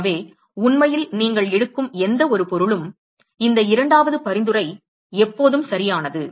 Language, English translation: Tamil, So, in fact, any material you take, this second suggestion is always right